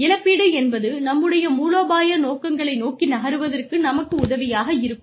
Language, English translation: Tamil, Compensation is going to help us, move towards our strategic objectives